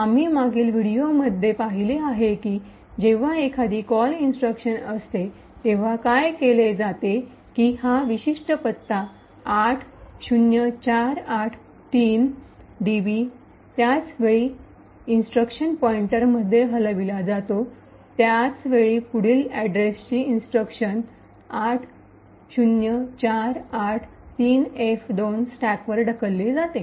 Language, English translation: Marathi, So as we have seen in the previous video when there is a call instruction what is done is that this particular address 80483db is moved into the instruction pointer at the same time the instruction of the next address that is 080483f2 gets pushed on to the stack